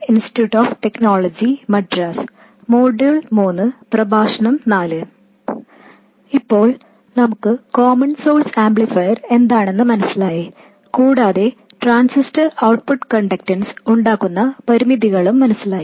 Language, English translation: Malayalam, Now we understand the common source amplifier and also the limitations caused by the transistor's output conductance and so on